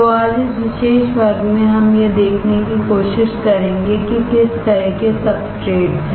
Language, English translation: Hindi, So, today in this particular class we will try to see, what are the kind of substrates